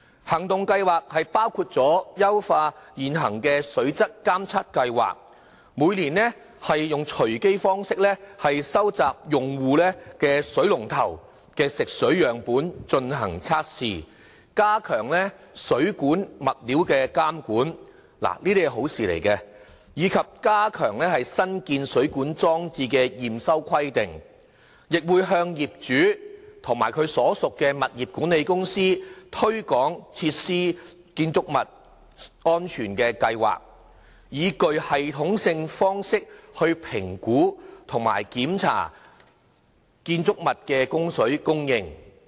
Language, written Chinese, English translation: Cantonese, 行動計劃包括優化現行水質監測計劃，每年以隨機方式收集用戶水龍頭的食水樣本進行測試，加強水管物料的監管——這些都是好事，以及加強新建水管裝置的驗收規定，亦向業主及其所屬的物業管理公司推廣設施、建築物安全的計劃，以具系統性方式評估和檢查建築物的供水設備。, Under the Plan WSD would enhance its current water quality monitoring programme to collect water samples from drinking taps of randomly selected consumers for testing annually and strengthen the regulatory control on plumbing materials . These are good measures . Besides WSD would also tighten the commissioning requirements for new plumbing installations and at the same time promote the implementation of Water Safety Plans for buildings to owners and their property management agencies to provide a systematic approach for assessments of the whole water supply chain of buildings